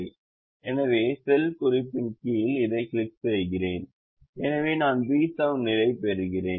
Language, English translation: Tamil, so under the cell reference i click this so i get the b seven position by default